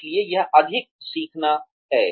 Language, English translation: Hindi, So, that is over learning